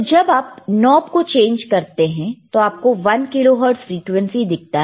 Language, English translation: Hindi, So, when you when you change the knob, what you are able to see is you are able to see the one kilohertz frequency